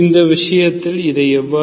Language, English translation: Tamil, How do we do this in this case